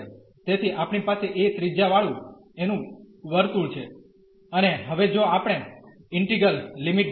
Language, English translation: Gujarati, So, we have the circle of radius a and now if we look at the integral limits